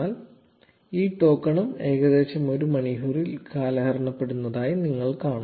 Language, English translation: Malayalam, You will see that this token also expires in about an hour